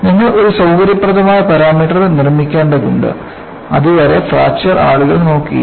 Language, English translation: Malayalam, So, you need to make a convenient parameter, until then fracture was not looked at by people